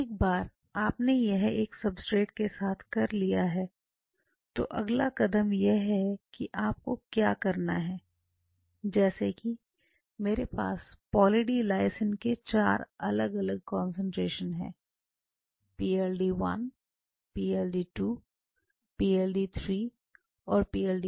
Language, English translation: Hindi, Once you have done this with one substrate the next thing comes you have to now really take this say for example, I have 4 different concentration of Poly D Lysine PLD1 PLD2 PLD3 PLD4